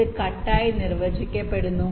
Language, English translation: Malayalam, this is defined as the cut